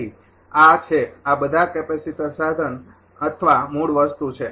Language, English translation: Gujarati, So, these are these are all the capacitor element or the basic thing